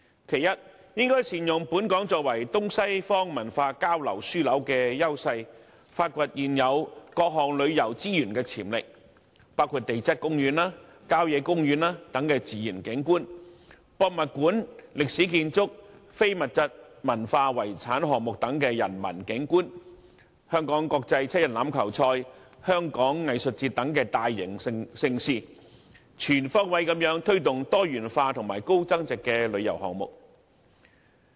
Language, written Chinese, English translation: Cantonese, 其一，政府應善用本港作為東西方文化交流樞紐的優勢，發掘現有各項旅遊資源的潛力，包括地質公園和郊野公園等自然景觀；博物館、歷史建築和非物質文化遺產項目等人文景觀；香港國際七人欖球賽及香港藝術節等大型盛事，以便全方位推動多元化和高增值的旅遊項目。, Firstly the Government should capitalize on Hong Kongs advantage as a meeting point between Eastern and Western cultures and explore the potentials of existing tourism resources including the natural landscape of geoparks country parks and so on; the cultural landscape of museums historic buildings intangible cultural heritage items and so on; as well as various major events such as Hong Kong Rugby Sevens and the Hong Kong Arts Festival so as to promote diversified and high value - added tourism projects in a holistic manner